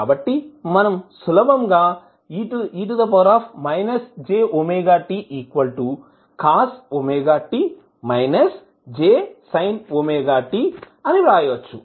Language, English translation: Telugu, So, what we can simply write